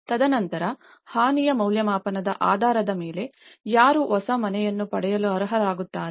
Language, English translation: Kannada, And then based upon the damage assessment, who will be eligible to get a new house